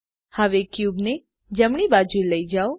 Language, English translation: Gujarati, Now lets move the cube to the right